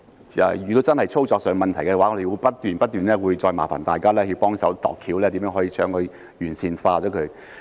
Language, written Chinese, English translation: Cantonese, 如果真的出現操作上的問題的話，我們會不斷不斷再麻煩大家幫忙想辦法，看看如何可以把它完善。, Should operational problems arise we will keep asking for help from fellow Members to see how to make improvement